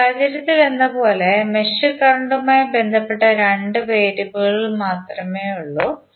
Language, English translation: Malayalam, Like in this case if you see, there are only 2 variables related to mesh current